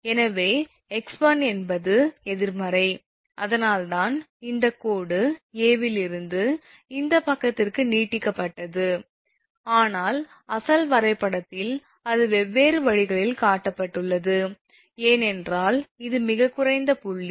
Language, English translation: Tamil, So, this is because x 1 is negative right, that is why this dashed line is extended from A to B this side, but in the original diagram it was shown in different ways, because this is the lowest point